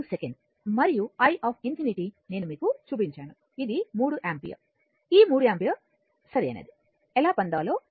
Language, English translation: Telugu, 5 second and i infinity I showed you that it is 3 ampere how to get it this 3 ampere right